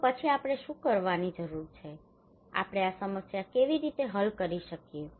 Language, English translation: Gujarati, So then what we need to do what, how we can solve this problem